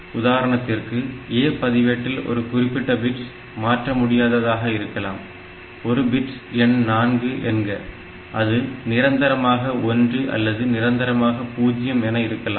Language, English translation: Tamil, For example, it has got that a register, that A register may be one particular bit of it, say bit number 4 of it is permanently 1 or permanently 0